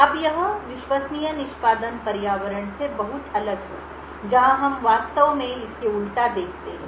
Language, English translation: Hindi, Now this is very different from Trusted Execution Environment where we actually look at the inverse of this